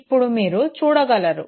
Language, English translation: Telugu, And again here you see